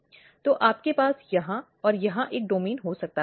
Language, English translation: Hindi, So, you can have one domain here and here